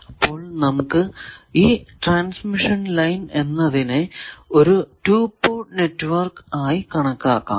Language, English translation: Malayalam, So, let us see transmission line as 2 port network; obviously